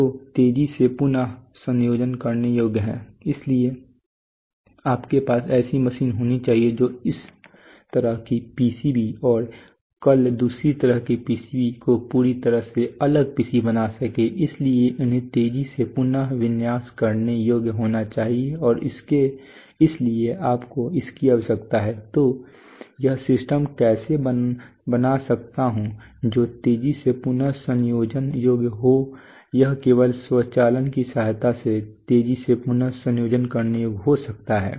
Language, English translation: Hindi, Which are rapidly reconfigurable so you have to have machines which will which can today make PCBs like this tomorrow make PCBs totally entirely different PCB s right, so they have to be rapidly reconfigurable and therefore you need, so this all these how can I manufacturing system be rapidly the rapidly reconfigurable it can be rapidly reconfigurable only with the help of automation